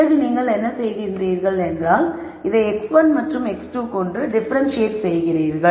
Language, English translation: Tamil, Then what you do is, you differentiate this with respect to x 1 and x 2